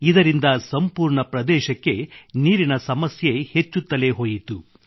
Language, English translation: Kannada, This led to worsening of the water crisis in the entire area